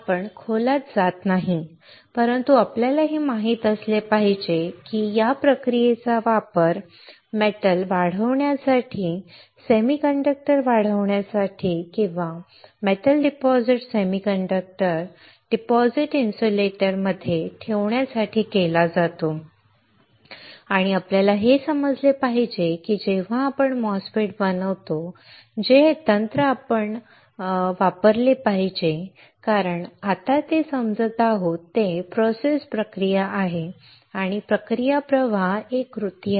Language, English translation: Marathi, We are not going into depth, but we should know that these are the processes that are used to grow the grow the metal to grow the semiconductor to or deposit the metal deposit semiconductor deposit insulator and we have to understand that when we fabricate a MOSFET which technique we should use it right because what we are right now understanding is the process flow the process flow is a recipe